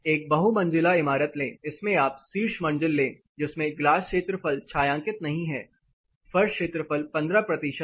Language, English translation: Hindi, Take a multistoried construction you take you know top floor unshaded glass area 15 percent of the floor area